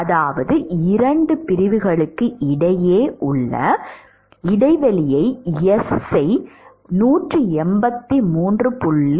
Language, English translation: Tamil, 1 that means if I put S the spacing between two section as 183